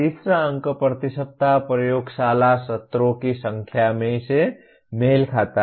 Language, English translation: Hindi, The third digit corresponds to number of laboratory sessions per week